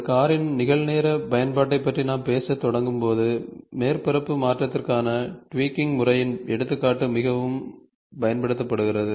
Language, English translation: Tamil, When we start talking about a real time application of a car, so the example of a tweaking method for surface modification is very much used